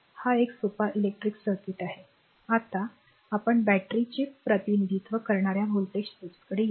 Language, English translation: Marathi, So, this is a simple electric circuit now let us come to the voltage source representing a battery